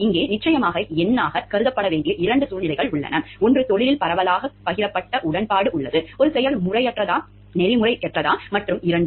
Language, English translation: Tamil, Here of course, there are two situations that to be considered number; one is where there is widely shared agreement in the profession, as to whether an act is unethical and two